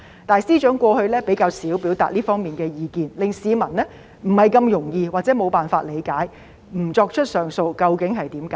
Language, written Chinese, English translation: Cantonese, 但是，司長過去較少表達這方面的意見，令市民不容易或無法理解不提出上訴的原因究竟為何。, However the Secretary for Justice has seldom expressed views in this regard in the past and as a result making it difficult or impossible for the public to understand the reasons for not lodging an appeal